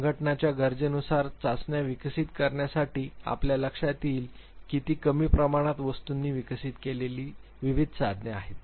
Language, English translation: Marathi, To develop tests which suits the need of the organizations you would realize that they are have been various tools which have been developed with less number of items